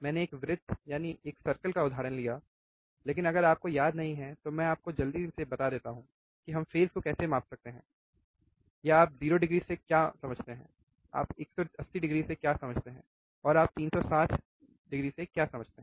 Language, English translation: Hindi, I have taken the example of a circle, but if you do not remember let me just quickly tell you how we can measure the phase, or what do you mean by 0 degree what you mean by 180 degree, and what you mean by 360 degree